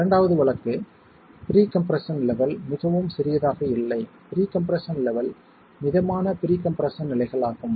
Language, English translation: Tamil, The second case is when the pre compression levels are not too small, the pre compression levels are moderate levels of pre compression